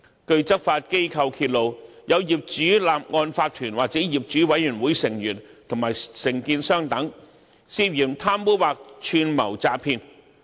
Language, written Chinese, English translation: Cantonese, 據執法機構揭露，有業主立案法團或業主委員會成員和承建商等，涉嫌貪污或串謀詐騙。, As law enforcement agencies have exposed some owners corporations OCs or members of owners committees and contractors etc allegedly engaged in bribery or conspired to defraud